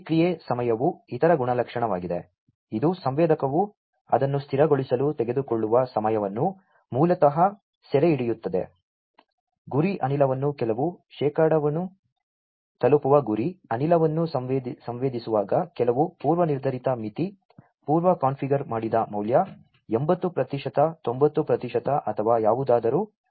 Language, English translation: Kannada, Response time is the other characteristic, which basically captures the time taken by the sensor to stabilize it is response, when sensing the target gas to reach some percentage some predefined threshold pre configured value like; 80 percent 90 percent or whatever